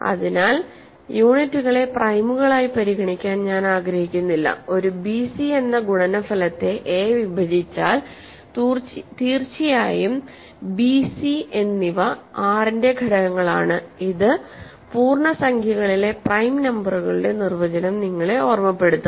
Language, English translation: Malayalam, So, I again do not want to consider units as primes and if a divides a product bc where of course, b and c are elements of R this should recall for you the definition of prime numbers in integers